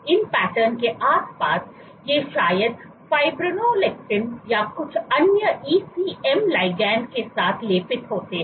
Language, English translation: Hindi, So, patterns I mean that around it, so, on these patterns these are probably coated with fibronectin or some other ECM ligand